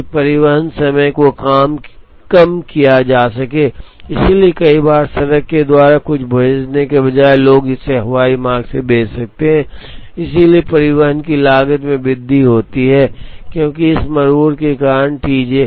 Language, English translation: Hindi, So, that the transportation time can be reduced, so many times instead of sending something by road people may end up sending it by air, so there is an increased transportation cost, because of this tardiness T j